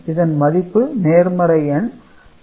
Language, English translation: Tamil, So, this is the positive number